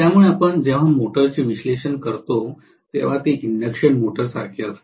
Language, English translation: Marathi, So when we actually analyze the motor it is exactly similar to induction motor I said